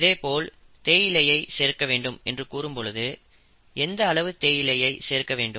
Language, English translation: Tamil, If it says add tea leaves or tea dust, how much tea dust do you add